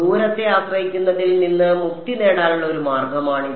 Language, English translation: Malayalam, This is one way of getting rid of the distance dependence ok